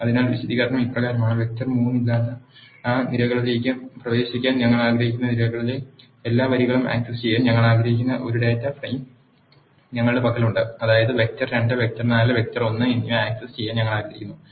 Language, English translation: Malayalam, So, the explanation goes as follows; we have a data frame we want to access all the rows in the columns we want to access those columns where there is no vector 3; that means, we want to access vector 2 vector 4 and vector one